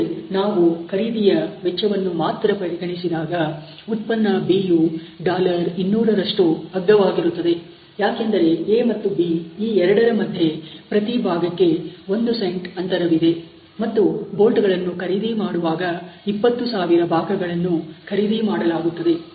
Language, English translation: Kannada, However, if we consider only purchasing cost, product B is cheaper by $200, because of this 1 cent per piece deference between A, and B and 20000 pieces being put on bolt for buying